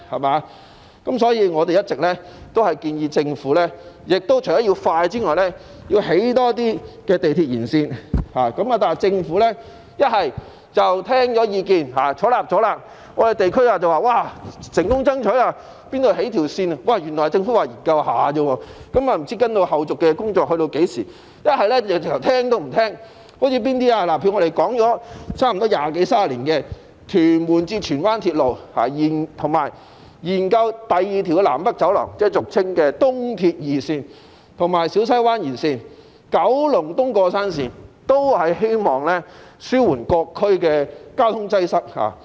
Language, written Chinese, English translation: Cantonese, 可是，對於我們的意見，政府要不表示會採納，於是我們在地區便說成功爭取興建鐵路，但原來政府說的只是研究而已，後續工作不知會在何時開始；要不政府便完全不接納我們的意見，例如我們差不多提出了二十多三十年的屯門至荃灣鐵路，以及建議政府研究發展第二條南北走廊，即俗稱的東鐵二綫，以及小西灣延綫和九龍東過山綫，都是希望紓緩各區的交通擠塞。, But in response to our views the Government either said that it would take them on board which then prompted us to announce in the districts our success in campaigning for the construction of railway lines but it turned out that the Government meant to conduct studies only and it is not known when follow - up work will be carried out or the Government simply rejected our views entirely . A case in point is the Tuen Mun to Tsuen Wan Link put forward by us for some two to three decades . We have also suggested the Government to study the development of a second North South Corridor which is commonly known as East Rail Line 2 and develop the Siu Sai Wan Extension and a railway running through the mountain in Kowloon East